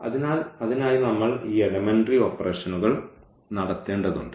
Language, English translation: Malayalam, So, for that we need to do this elementary operation